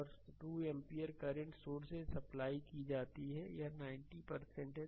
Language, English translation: Hindi, And power supplied by 2 ampere current source is 90 it is v into i